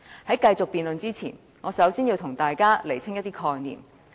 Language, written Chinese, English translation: Cantonese, 在繼續辯論前，我首先要為大家釐清一些概念。, Before continuing with this debate I have to clarify some concepts for Members